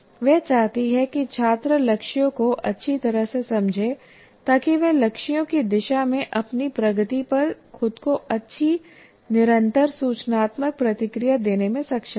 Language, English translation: Hindi, She wants students to understand the goals well enough to be able to give themselves good continuous informative feedback on their progress towards the goals